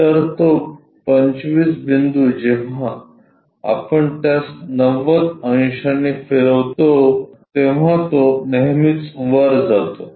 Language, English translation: Marathi, So, the 25 point when we are rotating it by 90 degrees it always goes to up